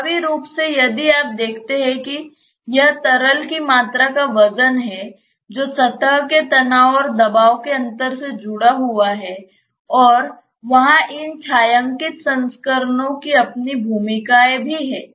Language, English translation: Hindi, Effectively if you see it is the weight of the volume of the liquid that is being sustained to the surface tension and the pressure differential, and there these shaded volumes also have their own roles